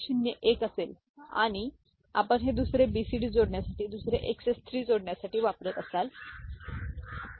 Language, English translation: Marathi, So, 0101 will be the case here and for this 1, if you are using this for another BCD addition another XS 3 addition another so, the digit is there